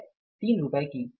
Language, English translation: Hindi, At the rate of rupees 4